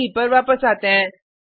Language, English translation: Hindi, Come back to the IDE